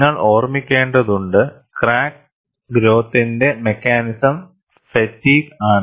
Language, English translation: Malayalam, And you have to keep in mind, one of the mechanisms of crack growth is by fatigue